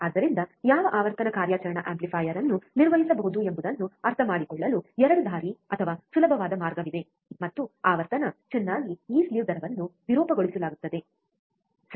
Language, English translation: Kannada, So, there is a 2 way or easier way to understand at what frequency operational amplifier can be operated, and frequency well this slew rate will be distorted, right